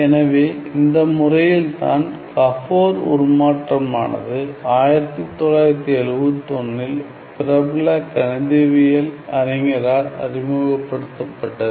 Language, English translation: Tamil, So, by the way this Gabor transform was introduced by a famous mathematician in 1971 in his Nobel Prize winning work